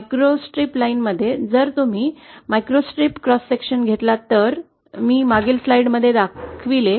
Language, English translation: Marathi, So in a microstrip line, you have, if you take a cross section of a microstrip, which I showed in the previous slide